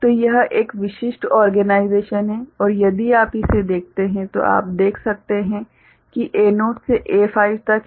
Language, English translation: Hindi, So, this is one typical organization and if you look at it you can see there are A naught to A5